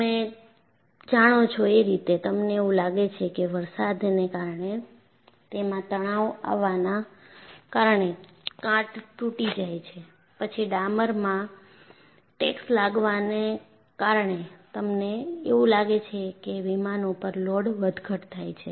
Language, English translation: Gujarati, You know, you look at, you find because of rain, stress corrosion cracking takes place, then because of taxing in the tar mark, you find there are load fluctuations induced on the aircraft